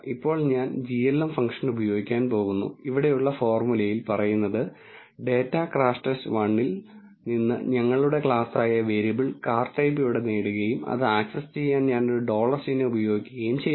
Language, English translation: Malayalam, Now, I am going to use the glm function the formula here says that get the variable card type which is our class here from the data crashTest underscore 1 and to access it I use a dollar symbol